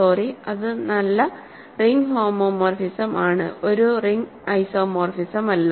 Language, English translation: Malayalam, How do you verify that a given ring homomorphism is an isomorphism